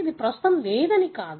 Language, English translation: Telugu, It is not that it is not present